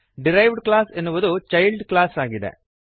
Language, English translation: Kannada, The derived class is the child class